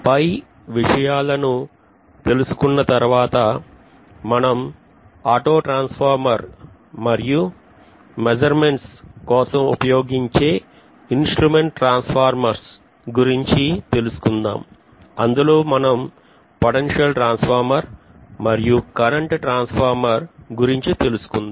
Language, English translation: Telugu, Then after looking at these things we will be actually looking at the auto transformer, and instrument transformers, that is instruments transformer are generally meant for instrumentation that is measurements, so we may use potential transformer and current transformer